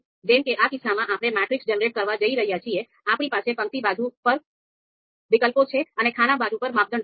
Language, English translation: Gujarati, So in this case because this is a matrix that we are going to generate, it is between alternatives in the row side row dimension and the criteria on the column side